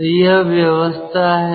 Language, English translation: Hindi, so this is the arrangement